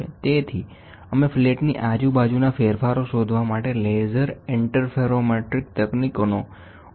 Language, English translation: Gujarati, So, we use laser interferometric techniques to find out the variation all along the flat